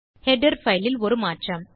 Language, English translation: Tamil, Theres a change in the header file